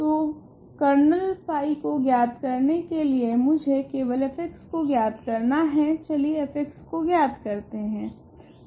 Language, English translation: Hindi, So, in order to determine kernel phi I just need to find out f of x; let us search for f of x